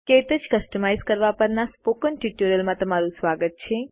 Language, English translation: Gujarati, Welcome to the Spoken Tutorial on Customizing KTouch